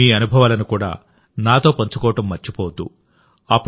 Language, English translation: Telugu, Don't forget to share your experiences with me too